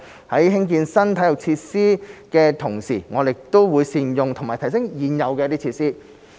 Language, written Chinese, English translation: Cantonese, 在興建新體育設施的同時，我們亦須善用和提升現有設施。, While building new sports facilities we must also make good use of and upgrade the existing facilities